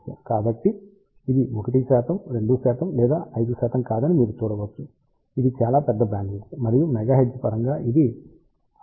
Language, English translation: Telugu, So, you can see that it is not 1 percent, 2 percent, or 5 percent it is a very large bandwidth and in terms of megahertz it is 569 megahertz bandwidth